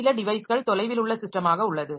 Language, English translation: Tamil, Some device is on a remote system